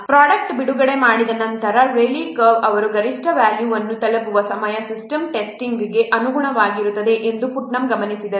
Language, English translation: Kannada, Putnam observed that the time at which the Raleigh curve reaches its maximum value, it corresponds to the system testing after a product is released